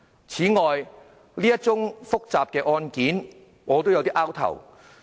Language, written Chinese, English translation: Cantonese, 此外，對於這宗複雜的案件，我也摸不着頭腦。, Furthermore I indeed have no idea about this complicated case